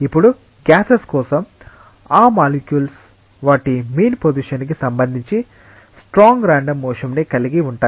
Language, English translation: Telugu, Now, for gases these molecules have strong random motion with respect to their mean position